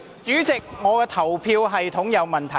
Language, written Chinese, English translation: Cantonese, 主席，表決系統有問題。, President there is something wrong with the voting system